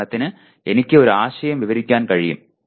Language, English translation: Malayalam, For example I can describe a concept